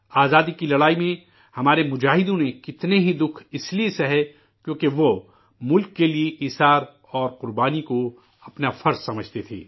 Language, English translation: Urdu, In the struggle for freedom, our fighters underwent innumerable hardships since they considered sacrifice for the sake of the country as their duty